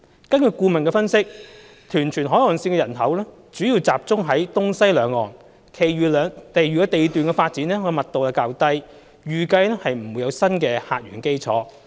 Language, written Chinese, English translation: Cantonese, 根據顧問的分析，屯荃海岸線的人口主要集中在東西兩端，其餘地段的發展密度較低，預計不會有新的客源基礎。, According to the consultants analysis the local population is mainly concentrated at the eastern and western ends of the coastline between Tuen Mun and Tsuen Wan; while the development density of the remaining areas is relatively low and no basis for new source of passengers is anticipated